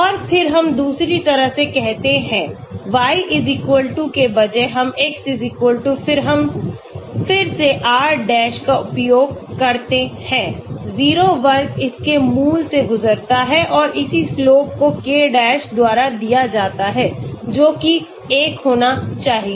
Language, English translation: Hindi, And then we do the other way, instead of y=, we do x= then we use again r dash 0 square make it pass through the origin and the corresponding slope is given by k dash that also should be 1